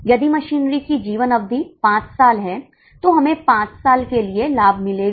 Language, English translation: Hindi, If a machinery has a life of five years, we will get the benefit for five years